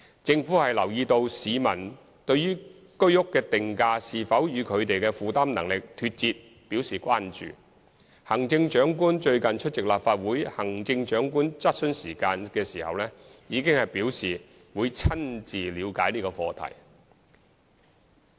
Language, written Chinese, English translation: Cantonese, 政府留意到市民對於居屋的定價是否與他們的負擔能力脫節表示關注，行政長官最近出席立法會行政長官質詢時間時已表示會親自了解這課題。, The Government is aware of public concerns about whether prices of HOS flats have gone beyond their affordability . At the recent Legislative Council Chief Executives Question Time the Chief Executive has indicated that she would personally look into this subject